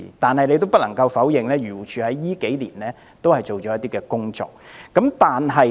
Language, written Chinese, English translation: Cantonese, 不過，我們也不能否認漁護署近年也做了一些工作。, Nevertheless we cannot deny that AFCD has done some work in recent years